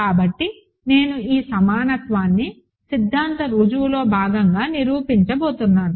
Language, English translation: Telugu, So, I am going to prove this equality as part of the proof of the theorem, ok